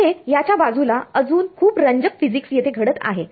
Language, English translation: Marathi, Besides, there is a lot of interesting physics happening over here